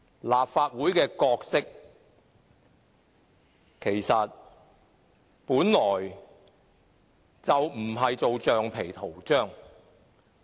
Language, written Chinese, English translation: Cantonese, 立法會的角色本來就不是當橡皮圖章。, The Legislative Council is never meant to serve as a rubber stamp